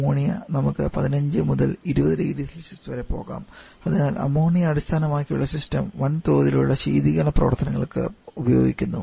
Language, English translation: Malayalam, Whereas Ammonia can we go to –15, 20 degree Celsius, ammonia based system is more commonly used for large scale refrigeration